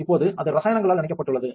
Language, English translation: Tamil, Now it is soaked with chemicals